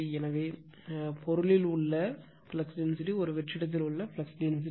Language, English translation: Tamil, So, flux density in material, so flux density in a vacuum